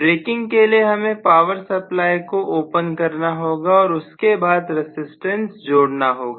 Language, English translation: Hindi, So for the braking you need to open out the switch open out the power supply and then only connect a resistance